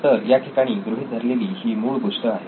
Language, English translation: Marathi, So that is the basic assumption here